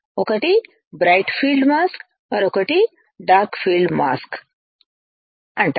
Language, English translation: Telugu, One is called bright field mask another one is called dark field mask right